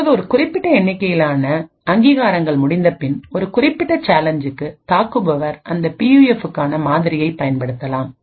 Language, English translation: Tamil, Now after a certain number of authentications have completed, for a given challenge the attacker could use the model for that PUF which it has actually created which it has actually built and respond to the challenge